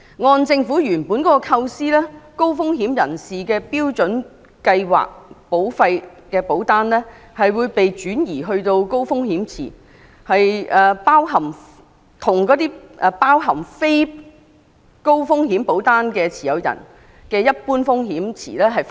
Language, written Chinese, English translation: Cantonese, 按照政府原本的構思，高風險人士的標準計劃保單會被轉移到高風險池，與包含非高風險保單持有人的一般風險池分開。, According to the original plan of the Government the Standard Plan policies of high - risk individuals would be migrated to HRP which would be separated from the normal pools consisting of other non - high risk policyholders